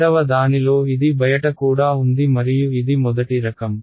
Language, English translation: Telugu, In the second one it is also outside and it is a first kind